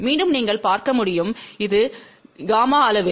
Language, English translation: Tamil, Again you can see, it is magnitude of the gamma